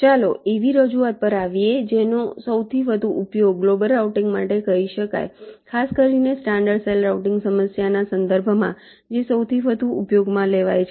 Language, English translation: Gujarati, fine, now let us come to the representation which is most widely used, for you can say global routing, particularly in connection with the standard cell routing problem, which is most widely used